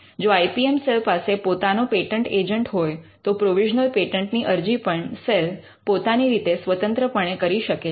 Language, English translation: Gujarati, If the IPM cell has an in house patent agent, then the filing of the provisional can be done in house itself